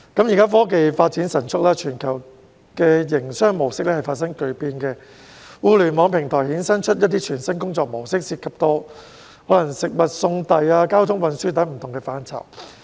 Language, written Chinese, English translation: Cantonese, 現時科技發展神速，全球營商模式發生巨變，互聯網平台衍生出全新的工作模式，涉及食物送遞、交通運輸等不同範疇。, The rapid development of technology has brought dramatic changes to the modes of business operation worldwide . Internet platforms have given rise to a new mode of work in areas such as food delivery and transport